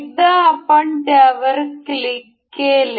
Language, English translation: Marathi, So, once we clicks it up